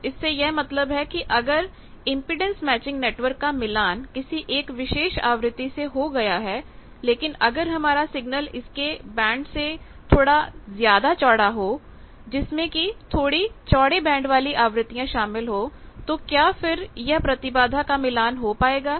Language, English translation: Hindi, So, it is a mixture of various nearby frequencies so that means, if an impedance matching network is matched at a particular frequency, but if the signal is a bit wider band containing bit wider band of frequencies, what will happen will the impedance match holds